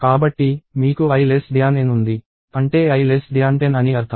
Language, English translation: Telugu, So, you have i less than N; which means i less than 10